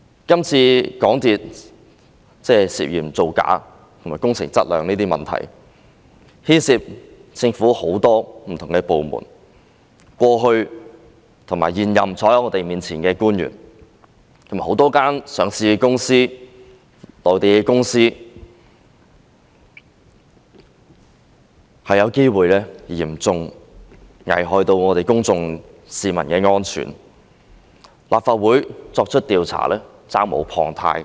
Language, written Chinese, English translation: Cantonese, 這次港鐵公司涉嫌造假和工程質量的問題，牽涉到政府很多不同部門，過去和坐在我們面前的現任官員，以及多間上市公司和內地公司都有機會嚴重危害公眾安全，立法會作出調查是責無旁貸的。, This saga of suspected fraud committed by MTRCL and irregularities in the works quality involves many different government departments former officials as well as the incumbent ones sitting opposite us and a number of listed companies and Mainland companies and there is a chance that public safety has been seriously jeopardized . The Legislative Council is duty - bound to conduct an inquiry